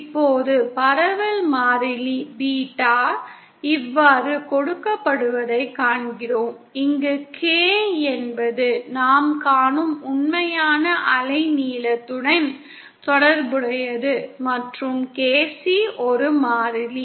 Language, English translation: Tamil, Now we see that the propagation constant Beta is given like this, where K is related to the actual wavelength that we see and KC is a constant